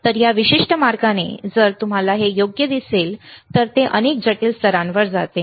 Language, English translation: Marathi, So, for this particular same way if you see this one right, it goes to many more complex layers